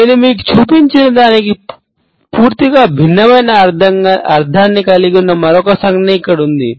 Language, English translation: Telugu, Here is another gesture that is very similar to the one I have just shown you that has a completely different meaning